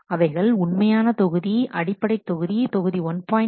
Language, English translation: Tamil, They will store the original module, the baseline module module 1